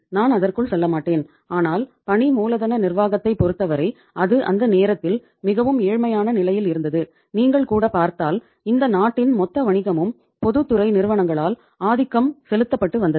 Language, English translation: Tamil, I will not go into that but as far as the working capital management is concerned it was very very poor at that time and if you see that even the because the the total business of this country was dominated with the public sector companies